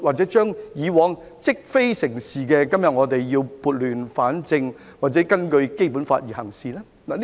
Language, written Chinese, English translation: Cantonese, 對於以往積非成是，今天我們是否要撥亂反正，或根據《基本法》行事呢？, As for a seemingly rightful practice that has arisen from past wrongs should we now right the wrongs or act in accordance with the Basic Law?